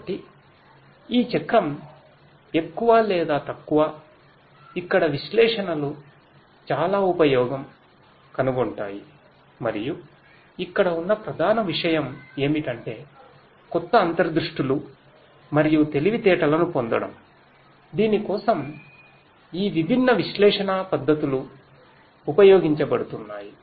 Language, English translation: Telugu, So, this is more or less this cycle where analytics finds lot of use and the core thing over here is to derive new insights and intelligence for which these different methods of analytics are going to be used